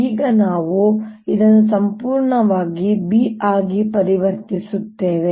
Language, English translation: Kannada, now we again convert this entirely into b